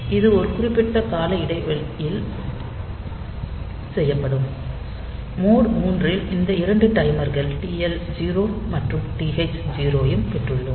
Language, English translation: Tamil, So, this will be doing a periodically, in mode 3 we have got this 2 such timers TL 0 and TH 0